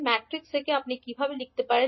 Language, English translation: Bengali, So, in matrix from how you can write